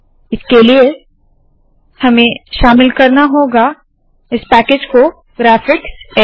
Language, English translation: Hindi, So for this we need to include this package called graphicx